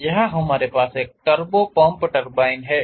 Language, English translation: Hindi, So, here we have a turbo pump turbine